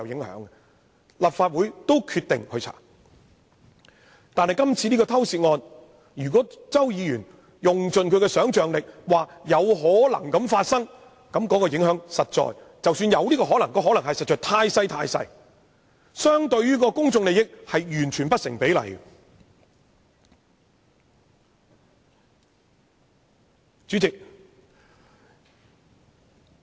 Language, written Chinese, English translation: Cantonese, 可是，就今次這宗偷竊案，即使周議員窮盡其想象力，指出有此可能，那影響儘管有可能出現，但也實在太小，相對於公眾利益而言完全是不成比例。, Yet when it comes to the theft case under discussion no matter how far Mr CHOW stretches his imagination to point out that such a possibility does exist those impacts though possible are indeed so small that they are completely disproportionate to the public interests involved